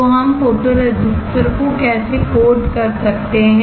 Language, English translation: Hindi, So, how we can we coat the photoresistor